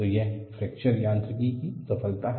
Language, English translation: Hindi, So, that is the success of fracture mechanics